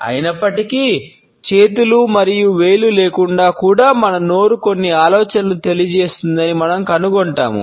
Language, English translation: Telugu, However, we would find that even without hands and fingers our mouth communicates certain ideas